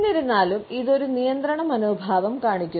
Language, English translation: Malayalam, However, we find that it shows a restraint attitude